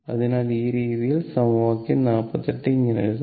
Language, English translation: Malayalam, So, this way this equation your equation 48 can be written in this way